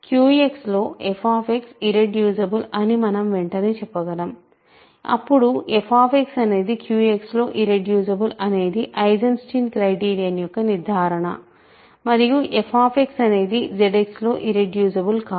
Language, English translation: Telugu, Then we can immediately say that f X is irreducible in Q X, then f X is irreducible in Q X that is the conclusion of Eisenstein criterion not that it is irreducible in Z X